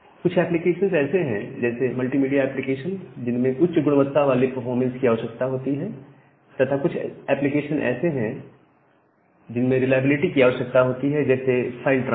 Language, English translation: Hindi, Now, some application they require fine grained performance like the multimedia applications and some others requires reliability like a file transfer